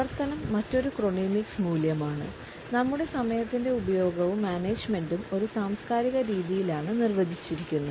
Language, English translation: Malayalam, Activity is also another chronemics value our use and manage of time is defined in a cultural manner too